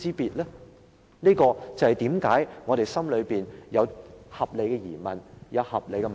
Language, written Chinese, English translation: Cantonese, 主席，這就是為何我們心裏有合理的疑問。, President that is why we have our reasonable doubts